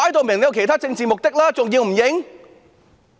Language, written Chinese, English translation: Cantonese, 明顯有其他政治目的，還不承認嗎？, There are obviously other political ends . Can she still deny it?